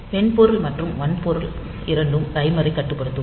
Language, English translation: Tamil, So, both software and hardware will control the timer